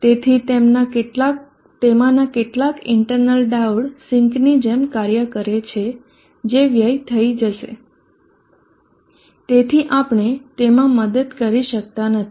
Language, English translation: Gujarati, So the internal diode of some of them is acting as sinks they will be dissipating, so we cannot help that